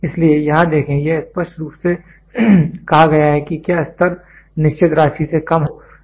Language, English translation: Hindi, So, see here it clearly says if the level is less than certain amount